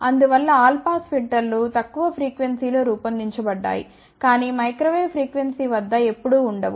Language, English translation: Telugu, So, that is why all pass filters are designed at lower frequency, but never ever at microwave frequency